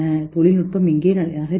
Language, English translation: Tamil, Where is the technology moving